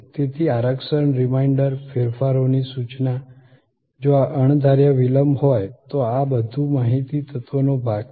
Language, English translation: Gujarati, So, reservation reminder, notification of changes, if there are these unforeseen delays, these are all part of the information element